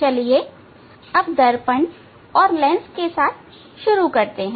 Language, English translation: Hindi, Let us start with the mirror and lenses